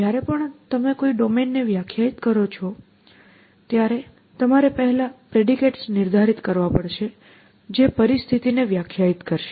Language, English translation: Gujarati, So, whenever you define a domain, you have first define what are the predicates which will define the situation essentially